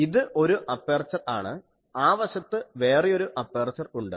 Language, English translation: Malayalam, So, aperture is this, this is one aperture that side there is a another aperture